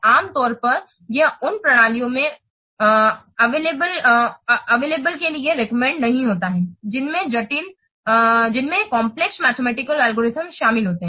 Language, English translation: Hindi, Normally it is not recommended for use in systems which involve complex mathematical algorithms